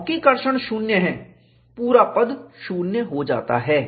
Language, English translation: Hindi, Because traction is zero, the whole term goes to 0